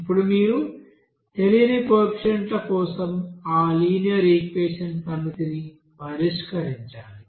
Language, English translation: Telugu, Now you have to solve those set of linear equations for unknown you know coefficients